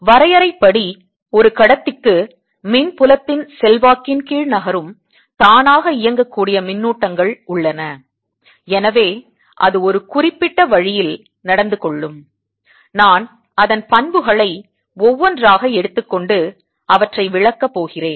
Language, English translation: Tamil, today a conductor, by definition, has has free charges that move under the influence of an electric field and therefore it behaves in a particular way, and i am going to take its properties one by one and explain them